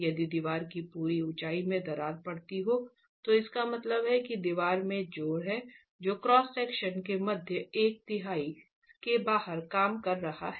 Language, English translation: Hindi, If the crack has to, if the entire height of the wall has to crack, it means a significant amount of the wall has thrust which is acting outside the middle one third of the cross section